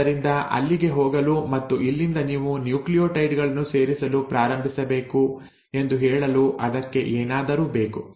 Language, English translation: Kannada, So it needs something to go and tell it that from there you need to start adding the nucleotides